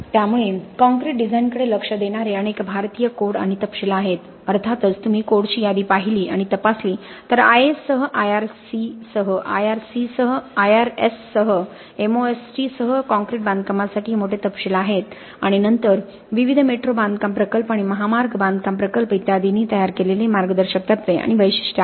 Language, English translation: Marathi, So there are several Indian codes and specifications that look at concrete design, of course if you look at the list of codes inspects it is massive specification for concrete construction with IAS, with IRC, with IRS, with MOST and then there are guidelines and specifications drawn up by various metro construction projects and highway construction projects and so on